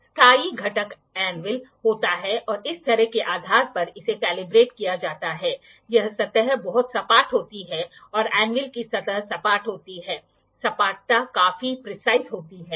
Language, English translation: Hindi, So, when we are loosening the screw this component is anvil that fixed component is anvil and it is calibrated based upon this surface, this surface is very flat the anvil surface is flat the flatness is quite precise